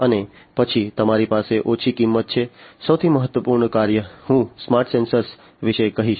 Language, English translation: Gujarati, And then you have the reduced cost, the most important function I would say of a smart sensor